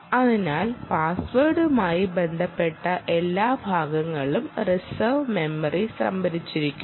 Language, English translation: Malayalam, so all password related parts are stored in in the reserved memory